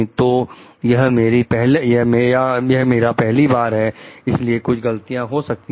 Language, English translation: Hindi, So, this was my first time so I made few mistakes